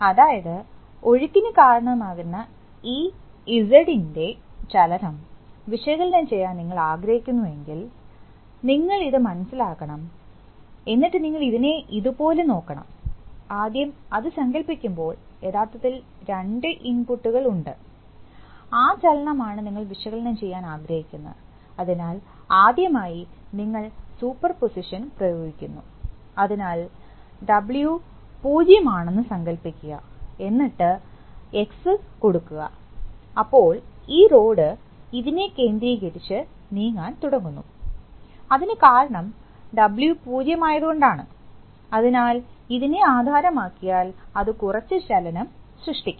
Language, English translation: Malayalam, So if you want to analyze the motion of this Z, which finally creates the flow, then you have to understand that then you have to look at it like this, so you see that, first when you imagine that, first there are, there are actually two inputs and this is the motion that you want to analyze, so first of all you apply superposition, so first of all you apply assume that W is 0 and X is applied, so then the this rod is going to move about this, because W is 0, so pivoted to this, that will create some motion